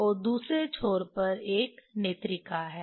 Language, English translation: Hindi, And other end there is a eye piece